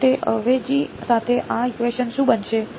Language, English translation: Gujarati, So, with that substitution what will this equation become